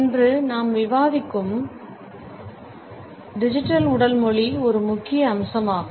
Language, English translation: Tamil, One major aspect is digital body language, which we would discuss today